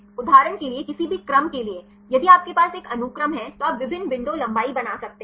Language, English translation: Hindi, For any sequence for example, if you have a sequence you can make different window lengths